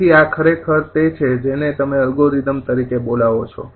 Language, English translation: Gujarati, right, so this is actually your what you call algorithm